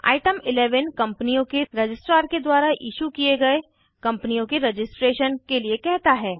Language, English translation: Hindi, Item 11 asks for the registration of companies, issued by the Registrar of Companies